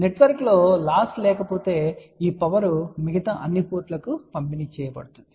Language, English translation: Telugu, If there is a no loss within the network then this power will get distributed to all the other ports